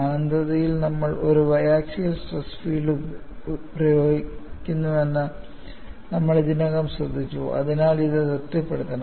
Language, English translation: Malayalam, At infinity, we have already noted that we are applying biaxial stress field, so this should be satisfied